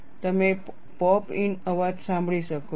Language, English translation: Gujarati, You can hear the pop in sound